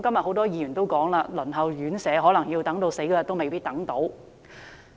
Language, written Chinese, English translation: Cantonese, 很多議員今天也說，輪候院舍的可能等到離世那天也未有宿位。, As many Members have pointed out today that many elderly people may not be able to get a place in residential care homes before they pass away